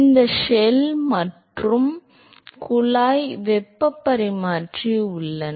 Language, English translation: Tamil, There are these shell and tube heat exchanger